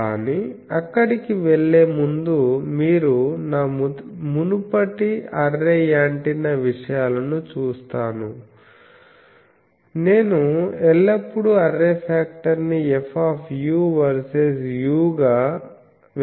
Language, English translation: Telugu, But, before going there, I will see if you see my earlier array antenna things also, there is one thing that I always express the array factor as F u by u